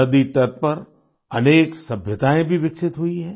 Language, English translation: Hindi, Many civilizations have evolved along the banks of rivers